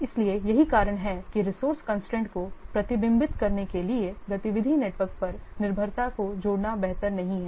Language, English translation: Hindi, So, that's why it is better not to add dependencies to the activity networks to reflect resource constraints